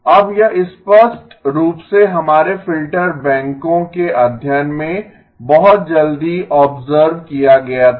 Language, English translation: Hindi, Now this was obviously observed very early in our in the study of filter banks